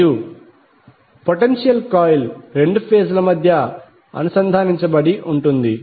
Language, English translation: Telugu, And the potential coil is connected between two phases